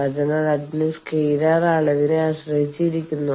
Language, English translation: Malayalam, So, that is depend that is scalar quantity